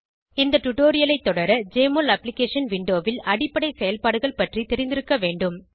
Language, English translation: Tamil, To follow this tutorial you should be familiar with basic operations from Jmol Application window